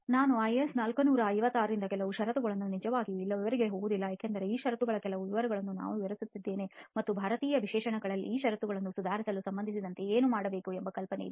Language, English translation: Kannada, I have also placed some clauses from IS 456 not really going to the details here but the idea is that we have outlined some details of these clauses and what is needed with respect to actually improving these clauses in the Indian